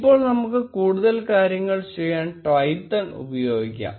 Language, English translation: Malayalam, Now let us use Twython to do more things